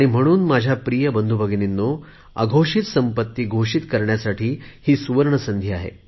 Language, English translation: Marathi, And so my dear brothers and sisters, this is a golden chance for you to disclose your undisclosed income